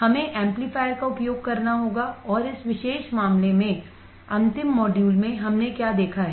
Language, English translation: Hindi, we have to use the amplifier and in this particular case, the last module; what have we seen